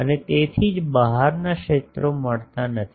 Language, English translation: Gujarati, And that is why the outside fields are not getting